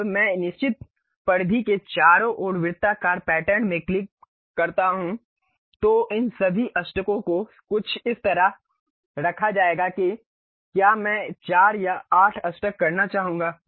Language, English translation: Hindi, Now, when I click the circular pattern around certain circumference all these octagons will be placed something like whether I would like to have 4 or 8 octagons